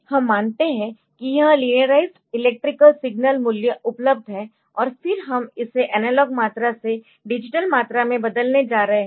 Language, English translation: Hindi, So, we assume that this linearized electrical signal values are available, and then we are going to convert it from analog quantity to digital quantity